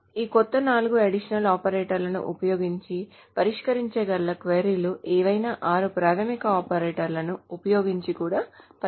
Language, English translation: Telugu, So any of the queries that can be solved using this new four additional operators can also be solved using the six basic operators